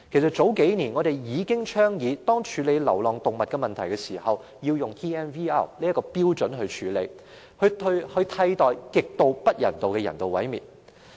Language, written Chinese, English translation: Cantonese, 數年前，我們已倡議在處理流浪動物問題時，應以 TNVR 的標準處理，以替代極不人道的人道毀滅。, Several years ago we already advocated applying the TNVR standard instead of using the extremely inhumane method of euthanasia to address the problem of stray animals